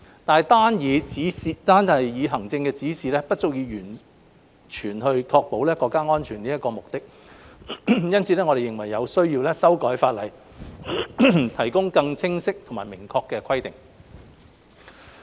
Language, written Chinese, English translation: Cantonese, 但單以行政指引不足以完全確保國家安全的目的，因此，我們認為有需要修改法例，提供更清晰及明確的規定。, Yet administrative guidelines cannot fully ensure that we can achieve the objective of safeguarding national security therefore we deem it necessary to amend FCO to provide clearer regulations